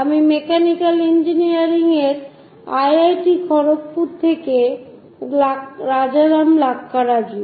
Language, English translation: Bengali, I am Rajaram Lakkaraju from Mechanical Engineering, IIT, Kharagpur